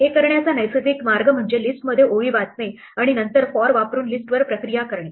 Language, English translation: Marathi, The natural way to do this is to read the lines into a list and then process the list using for